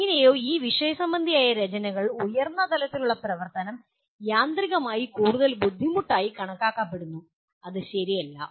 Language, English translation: Malayalam, Somehow in the literature higher level activity is considered automatically more difficult which is not true